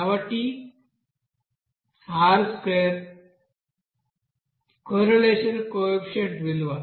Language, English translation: Telugu, So this R square is called correlation coefficient